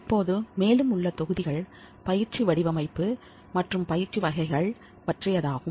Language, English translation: Tamil, Now the further models are on the training design and types of training